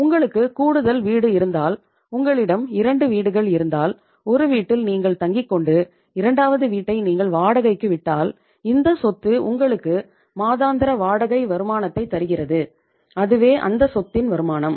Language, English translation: Tamil, If you have a extra house, if you have two houses, one in which you stay a second is rented out it means that property is giving you a monthly rental income and that is the income from that property